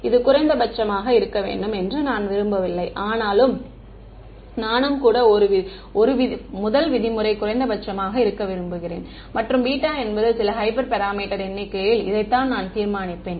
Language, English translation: Tamil, Not only do I want this to be minimum, but I also wants the 1 norm to be a minimum and beta is some hyper parameter which I will determine numerically